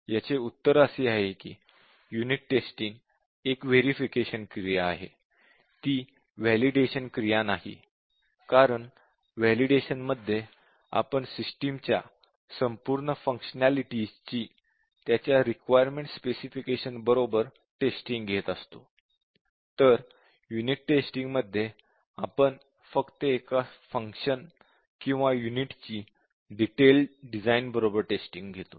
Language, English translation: Marathi, Actually, the answer is that, unit testing will be a verification activity; it is not a validation activity, because validation means, we are testing the working of the entire system, with respect to the requirement specification; whereas, in unit testing, we are testing only one of the functions or unit, with respect to the design